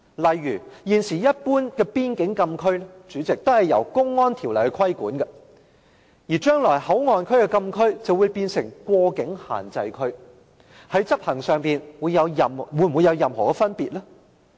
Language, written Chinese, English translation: Cantonese, 例如，現時一般邊境禁區均由《公安條例》規管，而將來內地口岸區的禁區便會變成過境限制區，在執行上會否有任何分別？, Will such an arrangement give arise to any potential problems? . For instance in general all frontier closed areas are regulated under the Public Order Ordinance but in future the closed area in MPA will become a cross - boundary restricted area